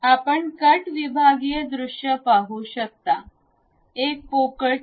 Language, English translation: Marathi, You see the cut sectional view a hollow cane